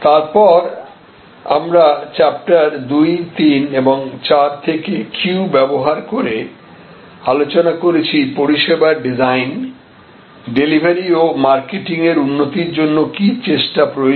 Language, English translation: Bengali, And then, we had also discussed using the queues from chapter 2, 3 and 4 that what efforts are therefore needed for improvement in which the service is designed, delivered and marketed